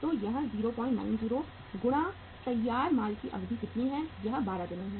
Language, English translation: Hindi, 90 multiplied by how much is the duration of the finished goods 12 days